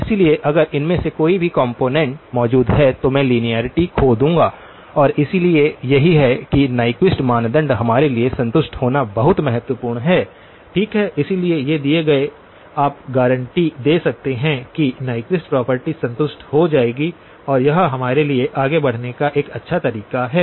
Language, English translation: Hindi, So, therefore if any of these components are present, then I will lose linearity and therefore that is why Nyquist criterion is very important for us to be satisfied, okay, so given these you can guarantee that the Nyquist property will be satisfied and that this is a good way for us to move forward